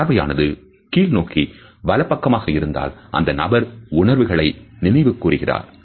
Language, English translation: Tamil, If the gaze is down towards a right hand side the person might be recalling a feeling